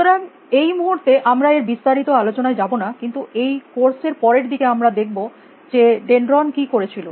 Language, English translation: Bengali, So, we will not going to the details now, but later on in the course we will see what Dendron died